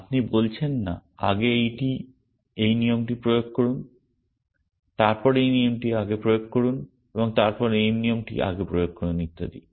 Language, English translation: Bengali, You are not saying apply this rule first then apply this rule first and then apply this rule first and so on